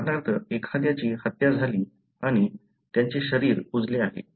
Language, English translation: Marathi, For example, somebody is murdered and their body has decomposed